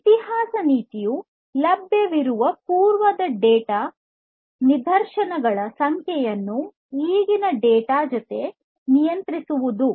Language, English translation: Kannada, History policy is about controlling the number of previous data instances available to the data